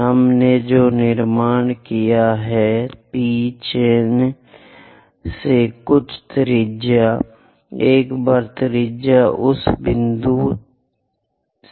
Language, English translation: Hindi, So, what we have constructed is, from P mark some radius, once radius is there from that point mark an arc